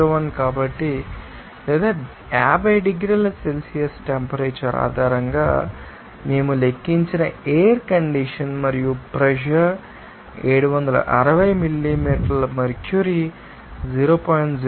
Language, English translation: Telugu, 01 or us outlet air condition that we have calculated based on the temperature of 50 degrees Celsius and the pressure is 760 millimeter mercury and it is as 0